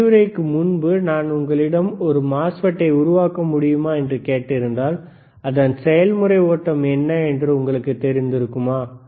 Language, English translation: Tamil, bBut if before if I just asked you before, that whether you can fabricate a MOSFET, dowould you know what is athe process flow